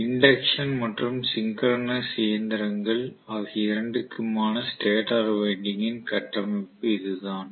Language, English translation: Tamil, So this is the structure of the stator winding for both induction as well as synchronous